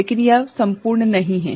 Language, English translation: Hindi, But, that is not all